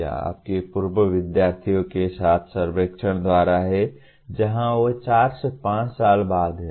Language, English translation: Hindi, That is by survey with your alumni where exactly they are after four to five years